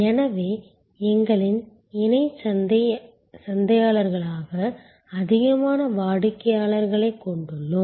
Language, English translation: Tamil, So, that we have more and more customers as our co marketers